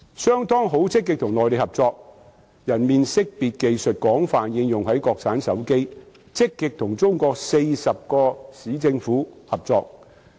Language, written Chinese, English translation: Cantonese, 商湯致力與內地合作，其人臉識別技術廣泛應用在國產手機，並積極與中國40個市政府合作。, SenseTime has striven for cooperation with the Mainland and its face detection technology has been widely applied on China - made mobile phones . And it has also cooperated actively with 40 city governments in China